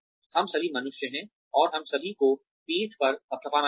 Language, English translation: Hindi, We are all human beings, and we all need a pat on the back